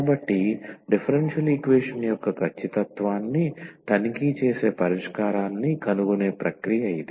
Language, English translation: Telugu, So, that is the process for finding the solution checking the exactness of the differential equation